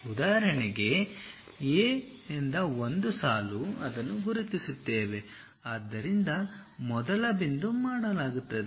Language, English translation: Kannada, For example, whatever the line A 1, same A 1 line we will mark it, so that first point will be done